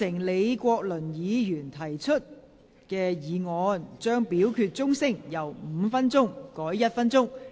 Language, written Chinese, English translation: Cantonese, 李國麟議員提出議案，將表決響鐘時間由5分鐘縮短為1分鐘。, Prof Joseph LEE has proposed the motion on shortening the division bell from five minutes to one minute